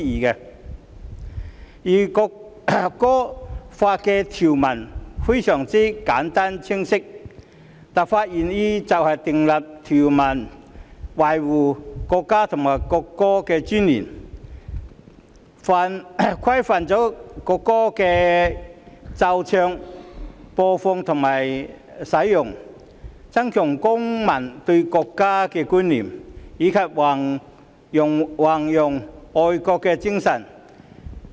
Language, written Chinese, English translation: Cantonese, 《條例草案》的條文非常簡單和清晰，立法原意是訂立條文，以維護國家和國歌的尊嚴，規範國歌的奏唱、播放和使用，增強公民對國家的觀念，以及宏揚愛國的精神。, The clauses of the Bill are very simple and clear . The legislative intent is to provide for the preservation of the dignity of the country and the national anthem the regulation of the playing singing and use of the national anthem the enhancement of citizen awareness of the country and the promotion of patriotism